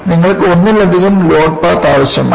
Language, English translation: Malayalam, You need to have multiple load path